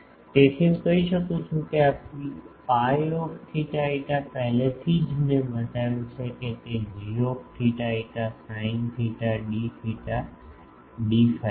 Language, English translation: Gujarati, So, I can say that this P i theta phi already I have shown that it is g theta phi sin theta d theta d phi